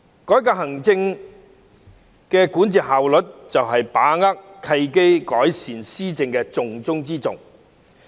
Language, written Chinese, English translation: Cantonese, 改革行政管治效率，就是"把握契機，改善施政"的重中之重。, Reforming the efficiency of the executive administration is the very key to seizing the opportunities to improve governance